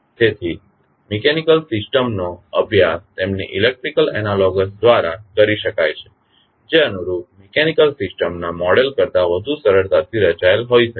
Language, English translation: Gujarati, So, the mechanical system can be studied through their electrical analogous, which may be more easily structured constructed than the models of corresponding mechanical systems